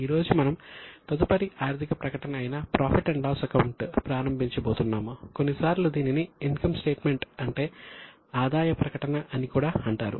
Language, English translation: Telugu, Today we are going to start with the next financial statement which is profit and loss account